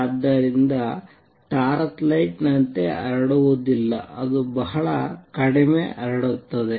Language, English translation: Kannada, So, does not spread like a torch light, it is spread very little